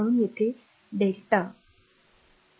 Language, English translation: Marathi, So, delta eq